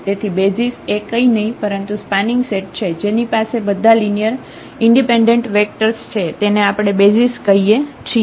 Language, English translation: Gujarati, So, the basis is nothing, but spanning set which has all linearly independent vectors that we call basis